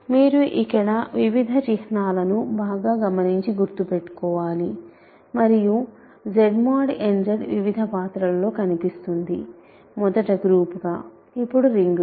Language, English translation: Telugu, So, the you have to keep track of various notations here and Z mod n Z is appearing in several roles; first as a group, now as a ring